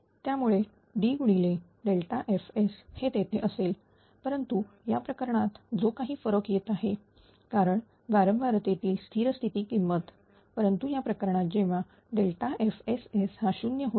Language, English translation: Marathi, So, that will D into delta if a system was there, but in that case that the difference was coming because of the steady state error or in frequency, but in this case when delta F S S will become 0